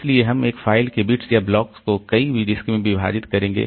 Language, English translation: Hindi, So, we will split the bits or blocks of a file across multiple disk